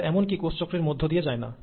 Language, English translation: Bengali, They, in fact do not undergo the process of cell cycle